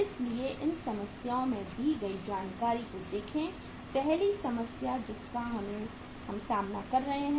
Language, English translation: Hindi, So look at the information given there in these problems, first problem we are dealing with